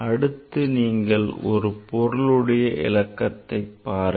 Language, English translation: Tamil, So, next you see this significant figure